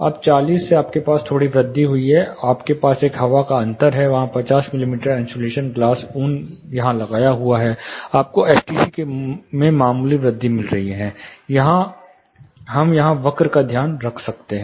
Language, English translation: Hindi, Now from 40 you have a slight increase, you have a air gap that is, you know you have a air gap here air gap here the same 50 mm insulation glass wool is put up here, you are getting a marginal increase in STC, we can take a note of the curve here